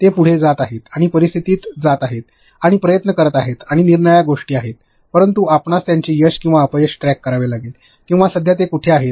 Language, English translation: Marathi, They are going ahead and going into scenarios and going and trying and different things, but you have to track their success or failure or where are they right now, current status